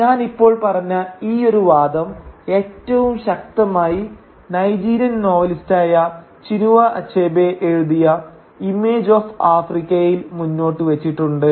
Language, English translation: Malayalam, And this line of argument that I have just stated is perhaps most forcefully put forward in the celebrated essay titled “Image of Africa” written by the Nigerian novelist Chinua Achebe